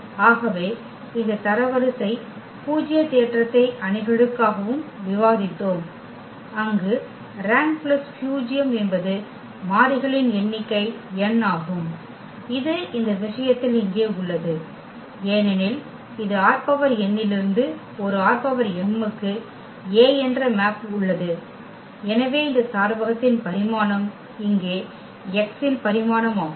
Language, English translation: Tamil, So, this rank nullity theorem we have also discussed for matrices where rank plus nullity was the number of variables n which is here in this case that is because this A maps from R n to R m; so that exactly the dimension of this domain here the dimension of X